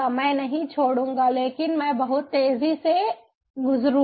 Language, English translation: Hindi, ah, i will not skip, but i will go through pretty fast